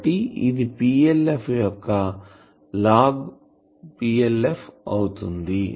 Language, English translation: Telugu, So, what will be the value of PLF